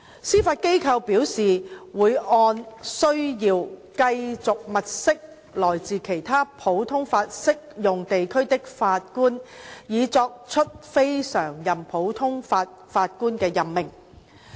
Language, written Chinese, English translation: Cantonese, 司法機構表示會按需要繼續物色來自其他普通法適用地區的法官以作出非常任普通法法官的任命。, The Judiciary indicated that it will continue to look for Judges from other common law jurisdictions for CLNPJ appointment as appropriate